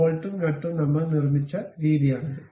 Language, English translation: Malayalam, This is the way bolt and nut we constructed